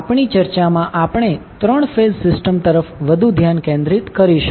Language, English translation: Gujarati, So, in our particular discussion, we will concentrate more towards the 3 phase system